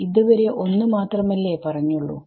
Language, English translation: Malayalam, So, far there is only one case